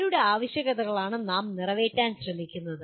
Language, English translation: Malayalam, So whose requirements are we trying to meet